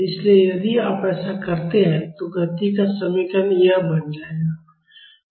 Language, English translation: Hindi, So, if you do that, the equation of motion will become this